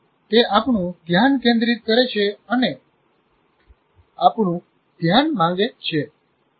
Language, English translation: Gujarati, It has our focus and demands our attention